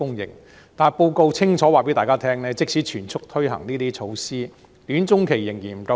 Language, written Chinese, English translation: Cantonese, 然而，報告清楚告訴大家，即使全速推行這些措施，短中期的土地仍然不足。, Yet the report clearly indicates that there will still be a shortfall in land supply in the short - to - medium term even if these measures are taken forward at full speed